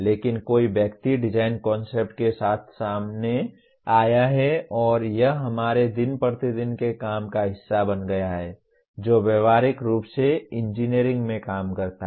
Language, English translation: Hindi, But somebody has come out with design concept and it becomes part of our day to day work practically in engineering